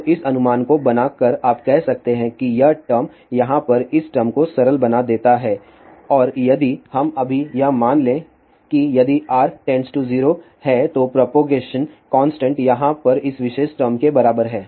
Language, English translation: Hindi, So, by making this approximation you can say that this term get simplified to this over here and if we now, assume that if R is tending to 0 then propagation constant is really equal to this particular term over here